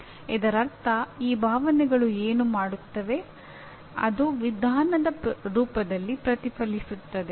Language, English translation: Kannada, That means what these feelings do is if the, it reflects in the form of approach